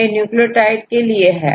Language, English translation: Hindi, So, how many nucleotides